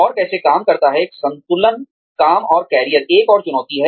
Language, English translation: Hindi, And, how does, one balance work and career, is another challenge